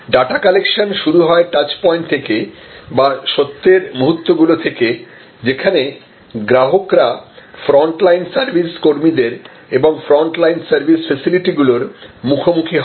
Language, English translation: Bengali, Starts, the data collections starts from what we call at the touch points, starts from the moments of truth, where the customer comes in contact with the front line service personnel and the front line service facilities